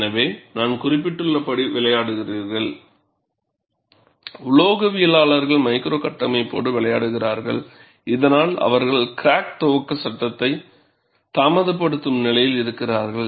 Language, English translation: Tamil, So, as I mentioned, the metallurgists play with the micro structure, so that they are in a position to delay the crack initiation phase, and mean stress thus play a role